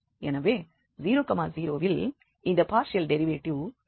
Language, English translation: Tamil, So this partial derivative at this 0 0 is going to be 0